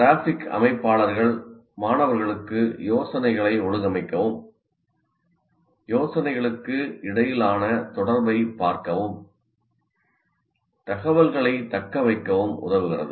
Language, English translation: Tamil, And graphic organizers help students organize ideas, see relationships between ideas, and facilitate retention of information